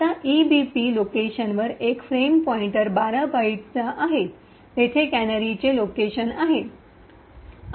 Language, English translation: Marathi, Now at the location EVP that is a frame pointer minus 12 bytes is where the canary location is present